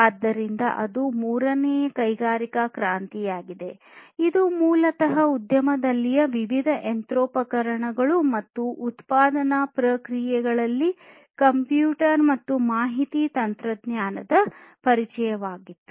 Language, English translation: Kannada, So, that was the third industrial revolution, which was basically the introduction of computers and infra information technology in the different machinery and manufacturing processes in the industry